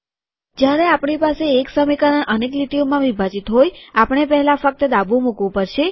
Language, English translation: Gujarati, When we have one equation split into multiple lines, we will have to put only the left on the first